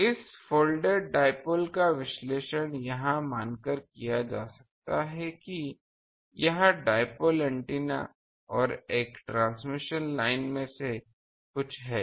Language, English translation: Hindi, So, this folded dipole can be analyzed by considering that it is some of in dipole antenna and a transmission line